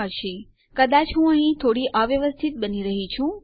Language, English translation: Gujarati, Ok, well, maybe Im being a little disorganised here